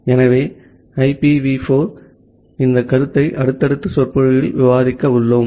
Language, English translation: Tamil, So, this concept of IPv4 we are going to discuss in the subsequent lecture